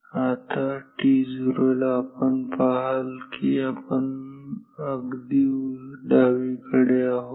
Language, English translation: Marathi, Now, at t 0 you see we are at the extreme left